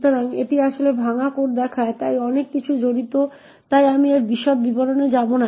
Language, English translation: Bengali, So, this actually shows the broken code, so there are a lot of things which are involved so I will not go into the details of it